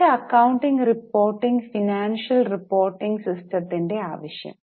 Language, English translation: Malayalam, Need for a better accounting report financial reporting system